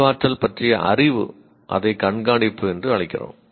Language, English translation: Tamil, Knowledge about cognition, we called it monitoring